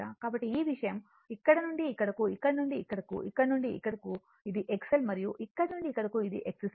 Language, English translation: Telugu, So, this thing from here to here , from here to here right, from here to here this is my X L and from here to here this is an X C